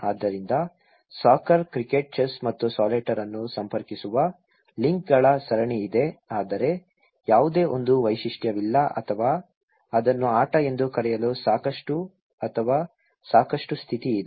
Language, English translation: Kannada, So, there is a series of links that which connect soccer, cricket, chess and solitaire but there is no single feature or that is enough or sufficient condition to call it as a game, right